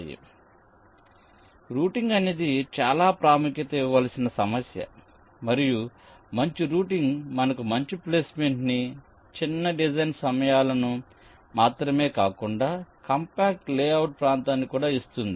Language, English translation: Telugu, so routing is an issue which needs to be given utmost importance, and a good placement followed by a good routing step will give us not only smaller design times but also compact layout area